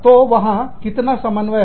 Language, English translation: Hindi, So, how much of coordination, there is